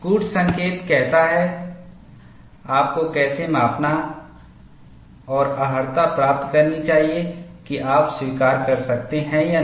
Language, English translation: Hindi, The code says, how you should measure and qualify whether you can accept or not